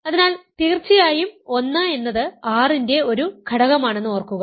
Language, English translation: Malayalam, So, of course, remember that 1 is an element of R